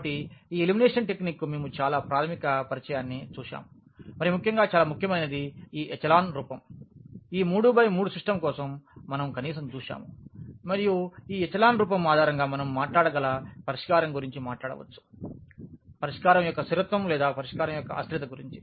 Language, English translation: Telugu, So, what we have seen a very basic introduction to this elimination technique and in particular very important is this echelon form which we have seen at least for this 3 by 3 system and based on this echelon form we can talk about the solution we can talk about the consistency of the solution or inconsistency of the solution